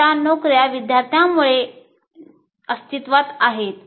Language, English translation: Marathi, So, our jobs exist because of the students